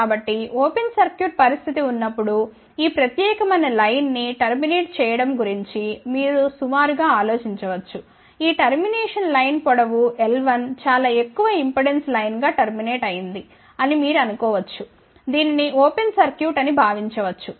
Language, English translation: Telugu, So, you can approximately think about that this particular line is terminated into when open circuit situation, you can think about that this transmission line of length l 1 is terminated into a very high impedance line which can be thought of as an open circuit, ok